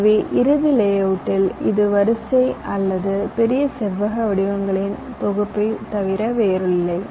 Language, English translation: Tamil, so in the final layout, it is nothing but ah sequence or a set of large number of rectangular shapes